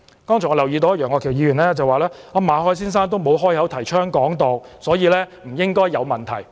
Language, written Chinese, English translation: Cantonese, 剛才楊岳橋議員說，馬凱先生沒有開口提倡"港獨"，所以不應該有問題。, Mr Alvin YEUNG said just now that Mr MALLET did not openly promote Hong Kong independence so there should be no problem with him